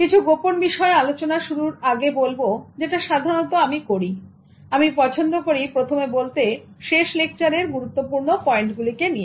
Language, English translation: Bengali, Before I start discussing about the secrets, as I do normally, I would like to talk to you first about the highlights of the last lesson